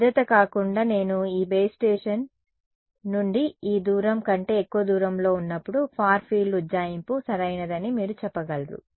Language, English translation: Telugu, While safety apart, you can say that when I am, further than this distance away from that base station, the far field approximation is correct ok